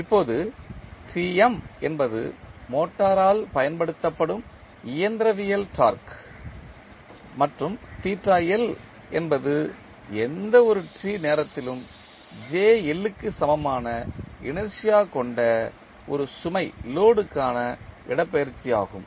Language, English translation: Tamil, Now, Tm is the mechanical torque applied by the motor and theta L is the displacement at any time t for the load which is having inertia equal to jL